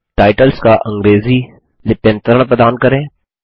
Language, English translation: Hindi, Provide the English transliteration of the titles